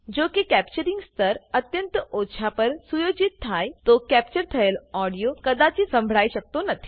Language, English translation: Gujarati, If the capturing level is set too low, the captured audio may not be heard